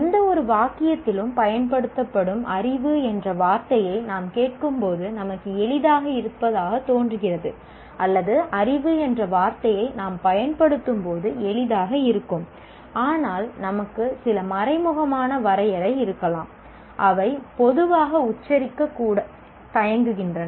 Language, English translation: Tamil, Whereas we seem to be comfortable when we listen to the word knowledge used in any sentence or we also feel comfortable when I use the word knowledge, but maybe we have some implicit definition which we normally are very reluctant to even articulate